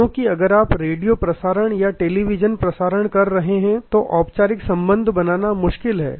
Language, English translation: Hindi, Because, if you are having a radio broadcast or a television telecast, then it is difficult to create formal relationship